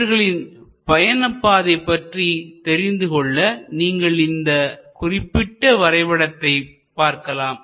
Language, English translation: Tamil, So, to understand this pathway, we can look at this particular picture here